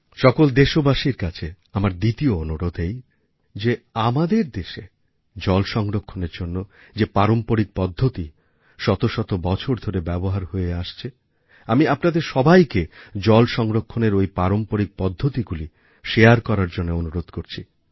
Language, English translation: Bengali, My second request to the countrymen is to share many traditional methods that have been in use over the centuries in our country for the conservation of water